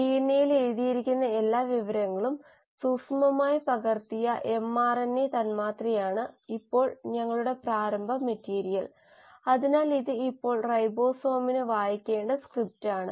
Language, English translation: Malayalam, Now our starting material is this stretch of mRNA molecule which has, you know, meticulously copied all the information which was written in the DNA, so this is now the script which the ribosome needs to read